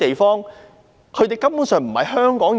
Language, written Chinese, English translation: Cantonese, 他們根本不是香港人。, They are not Hongkongers at all